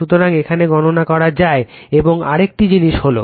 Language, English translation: Bengali, So, this is how calculate now another thing is